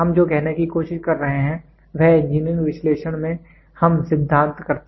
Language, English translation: Hindi, What we are trying to say is in engineering analysis we do theory